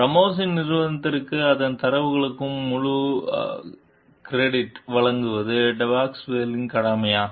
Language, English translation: Tamil, Is it Depasquale s obligation to give full credit to Ramos s company for its data